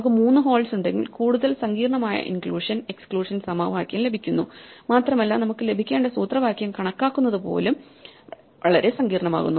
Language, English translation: Malayalam, If we have 3 holes we get an even more complicated inclusion exclusion formula and it rapidly becomes very complicated even to calculate the formula that we need to get